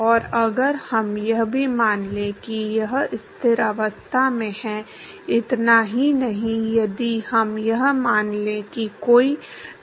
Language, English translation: Hindi, And if we also assume that it is at a steady state, not just that if we assume that there is no acceleration